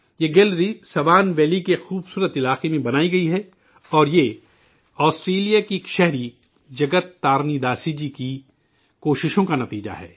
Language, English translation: Urdu, This gallery has been set up in the beautiful region of Swan Valley and it is the result of the efforts of a resident of Australia Jagat Tarini Dasi ji